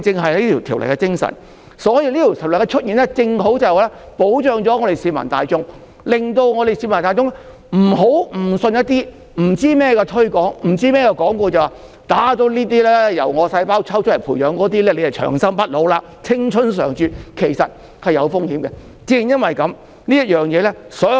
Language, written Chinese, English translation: Cantonese, 所以，《條例草案》的出現正好保障市民大眾，令大家不會誤信不知所云的推廣和廣告，以為注入那些由自身細胞培養的製品就會長生不老、青春常駐，而其實此舉是有風險的。, Therefore the timely emergence of the Bill protects the public from being misled by incomprehensible sales promotions and advertisements into believing that they can remain youthful and immortal through injection of products cultivated from their own cells despite the fact that this act is risky